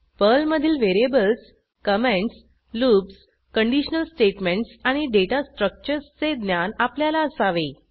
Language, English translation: Marathi, You should have basic knowledge of variables, comments, loops, conditional statements and Data Structures in Perl